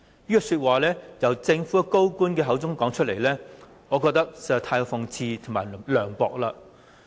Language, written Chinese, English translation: Cantonese, 這句話由政府高官口中說出，我認為實在是太過諷刺和涼薄了。, I consider it too ironic and unsympathetic for a senior Government official to say such things